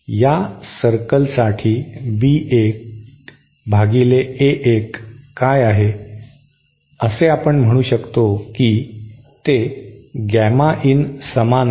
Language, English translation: Marathi, What is the b 1 upon A 1 for this circle, that we can say it is simply equal to the gamma in, isnÕt it